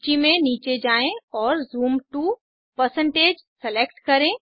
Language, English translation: Hindi, Scroll down the list and select Zoom to%